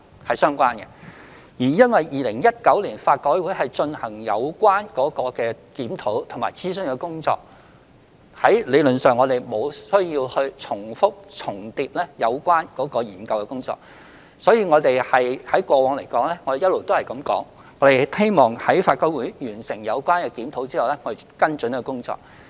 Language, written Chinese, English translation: Cantonese, 由於法改會在2019年進行有關的檢討和諮詢工作，我們理論上無須重複研究。因此，我們過往一直表示，希望待法改會完成檢討後才作出跟進工作。, As LRC conducted a review and consultation on this subject in 2019 theoretically there was no need for us to repeat the same study and this is why we said in the past that follow - up actions would be taken after LRC completed its review